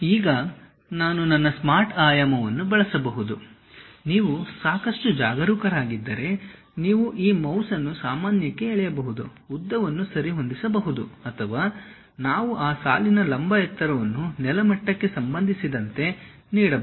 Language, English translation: Kannada, Now, I can use my smart dimension, this one if you are careful enough you can just pull this mouse normal to that adjust the length or we can give the vertical height of that line also with respect to ground level